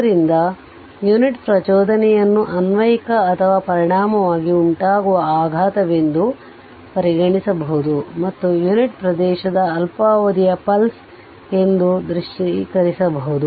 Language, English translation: Kannada, So, the unit impulse may be regarded as an applied or resulting shock and visualized as a very short duration pulse of unit area